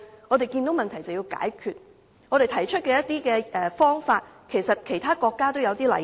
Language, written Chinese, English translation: Cantonese, 我們看到問題，便應該要解決，而我們提出的方法在其他國家也有類似例子。, When we notice a problem we should tackle it . The measures we propose are also adopted in countries with similar problems